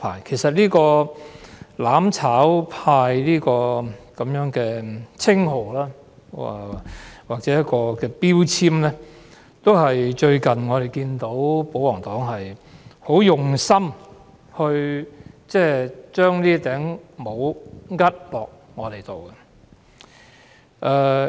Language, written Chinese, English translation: Cantonese, 其實，"攬炒派"這個稱號或標籤，是保皇黨近日非常刻意地往我們頭上扣的一頂帽子。, In fact the title or label of seeking to burn together is a kind of hat which the pro - Government camp has been deliberately attempting to put on our heads in recent days